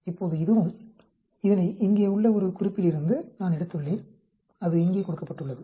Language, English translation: Tamil, Now this also, I have taken it from a reference here, which is given here